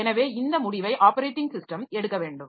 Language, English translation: Tamil, So, this is this decision has to be taken by the operating system